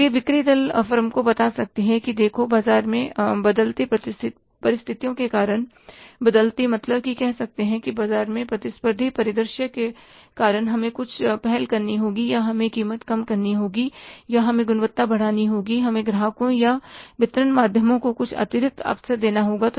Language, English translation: Hindi, So, the sales force can tell the firm that look because of the changing conditions in the market, changing, say, competitive scenario in the market, we will have to take some initiatives either we have to reduce the price or we have to increase the quality or we have to give some extra soaps to the customers or to the channels of distributions